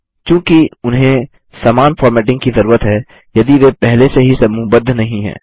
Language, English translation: Hindi, As they require the same formatting, lets group them ,If they are not already grouped